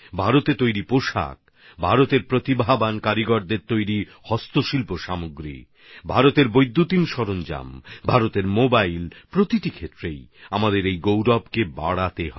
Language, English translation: Bengali, Textiles made in India, handicraft goods made by talented artisans of India, electronic appliances of India, mobiles of India, in every field we have to raise this pride